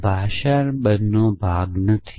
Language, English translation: Gujarati, It is not part of the language